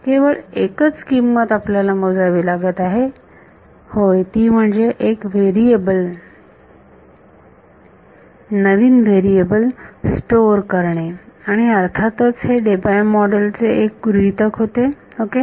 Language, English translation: Marathi, So, the only price we have to pay is store yeah store one new variable and of course the so, this was the assumption was Debye model ok